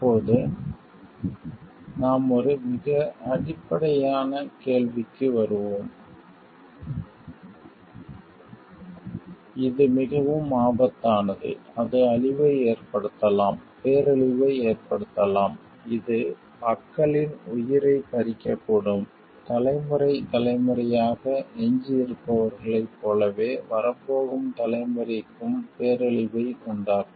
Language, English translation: Tamil, Now, we will come to a very basic question like, when we have been repeating like it is very high risk it may cause destruction, it may cause mass destruction which may lead to maybe claiming lives of people and, like through generations those who remain there that may be may be disastrous for the generations to come also